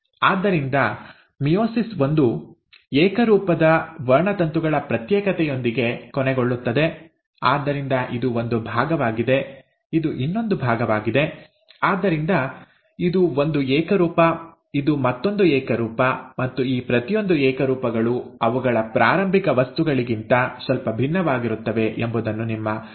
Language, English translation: Kannada, So, the meiosis one ends with the separation of homologous chromosomes, so this is one part, this is another; so this is one homologue, this is the another homologue, and mind you again, each of these homologues are slightly different from their starting material because of the cross over